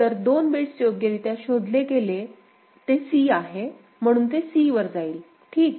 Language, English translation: Marathi, So, 2 bits properly detected is your c, so it is going to c is it ok